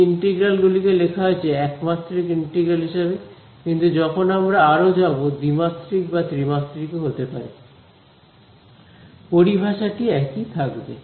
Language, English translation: Bengali, These integrals have been written as an integral in 1 dimension, but as we go further these can be integrals in 2 dimensions, 3 dimensions; the terminology will be the same